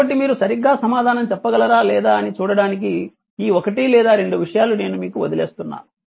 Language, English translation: Telugu, So, this 1 or 2 things I am leaving up to you just to see whether whether you can answer correctly or not you just put the answer in the forum